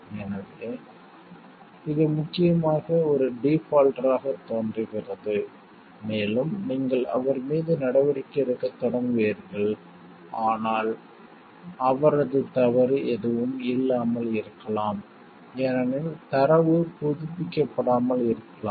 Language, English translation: Tamil, So, it sees mainly appear to be a defaulter and bank will start taking actions on if him, but with which is due to no fault of his because, of the come maybe the data were not updated